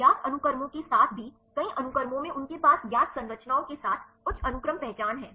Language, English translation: Hindi, Even with the known sequences right many sequences they have high sequence identity with the known structures